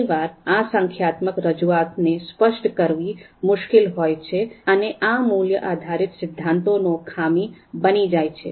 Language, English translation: Gujarati, So many times this numerical representation is quite difficult to specify and that becomes a drawback of this particular method, value based theories